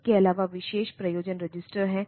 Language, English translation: Hindi, Apart from that there, are special purpose register